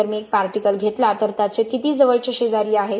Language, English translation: Marathi, If I take one particle how many nearest neighbors it has